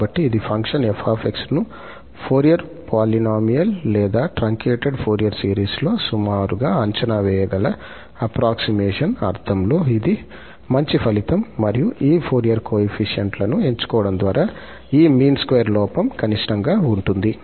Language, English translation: Telugu, So, this is a nice result in the sense of the approximation that we can approximate the function f by such so called the Fourier polynomial or the truncated Fourier series, and the error in this mean square sense will be minimum by choosing these coefficients as Fourier coefficients